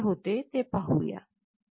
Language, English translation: Marathi, Now, let us see what is happening